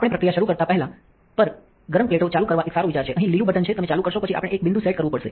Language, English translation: Gujarati, Before we start the processing its a good idea to turn on the hot plates on the green button here, you will turn on then we have to put a set point